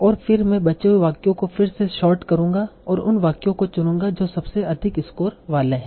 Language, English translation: Hindi, And then I will sort the remaining sentence again and choose the sentences that are coming out to be having high ish score